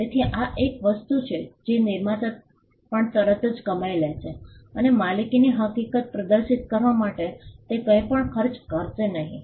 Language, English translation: Gujarati, So, this is something that accrues immediately on the creator and it does not cost anything to display the fact of ownership